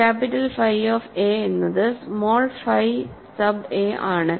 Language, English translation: Malayalam, So, capital phi of a is small phi sub a